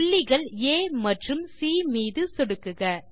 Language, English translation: Tamil, Click on the points A,E,C C,E,D